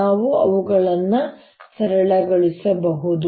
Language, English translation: Kannada, let us simplify them